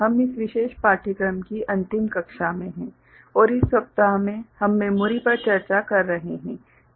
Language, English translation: Hindi, We are in the last class of this particular course and in this week we are discussing memory